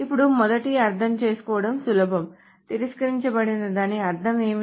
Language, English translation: Telugu, Now, the first one is easy to understand what do we mean by rejected